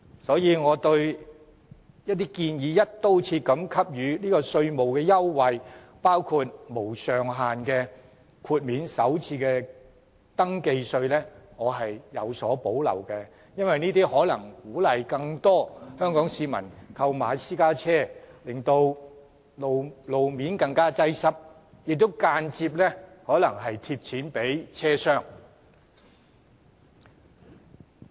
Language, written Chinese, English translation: Cantonese, 所以，對於建議"一刀切"給予稅務優惠，包括無上限豁免首次登記稅，我有所保留，因為這可能鼓勵更多香港市民購買私家車，導致路面更加擁擠，亦間接資助了汽車商。, Therefore I have reservation about the proposal of granting tax concessions across the board including the waiving of first registration tax with no upper limit on the tax amount exempted because this may encourage more people to purchase private cars thereby rendering local traffic even more congested and benefiting car dealers indirectly